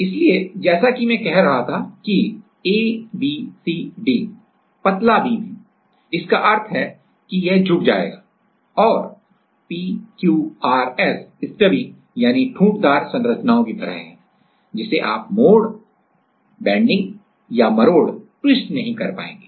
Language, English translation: Hindi, So, as I was saying that A B C D or slender beams and slender beams means this will bend and P Q R S are like this stubby structures which you will; which you will not be able to bend or twist